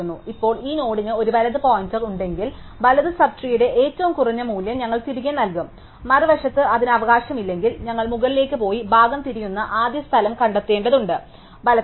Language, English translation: Malayalam, Now, if this node has a right pointer, then we just return the minimum value of the right sub tree, on the other hand if it does not have a right, then we need to go up and find the first place where the path turns right